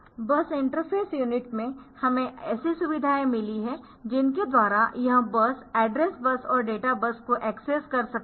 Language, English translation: Hindi, So, in the bus interface unit we have got the features by which it can access bus, the address bus and the data bus